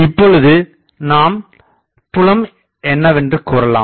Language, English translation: Tamil, So, now, we can say that what is the field